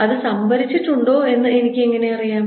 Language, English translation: Malayalam, how do i know it is stored